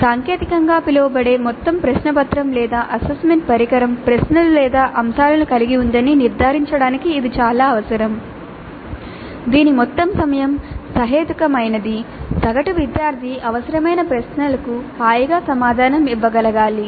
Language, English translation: Telugu, This is very essential to ensure that the total question paper or assessment instrument as technical it is called has the questions or items whose total time is reasonable in the sense that the average student should be able to answer the required number of questions comfortably